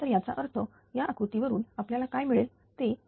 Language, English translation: Marathi, So, that means from this figure what we will get it is 1